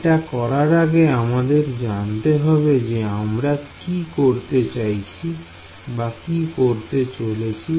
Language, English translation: Bengali, Before we do that we should have an idea of what we are going to do